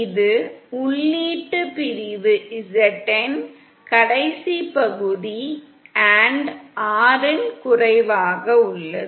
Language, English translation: Tamil, This is the input section Zn is the last section & Rn is the low